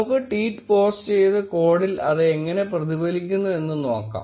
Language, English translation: Malayalam, Let us try posting the tweet and see how that reflects in the code